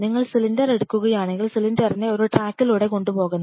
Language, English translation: Malayalam, If you take the cylinder you have to take the cylinder to this is what follow one track